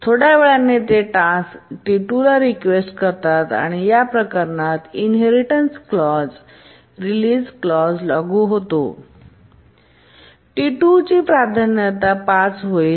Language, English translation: Marathi, And after some time it requests T2 and in this case the inheritance clause will apply and the priority of T2 will become 5